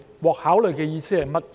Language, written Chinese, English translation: Cantonese, "獲考慮"的意思是甚麼？, What is the meaning of consideration?